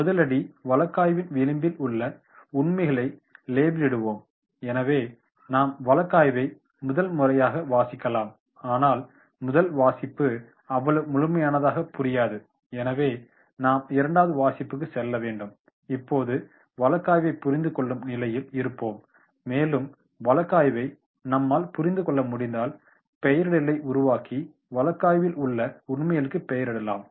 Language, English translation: Tamil, The step 1, the step 1 will be label the facts in the margin of the case so whenever we are going through the case study the first reading but first reading may not be that much complete so we have to go to the second reading and now we will be in a position to understand the case study, if we are able to understand the case study then we can make the nomenclature and label the facts in the case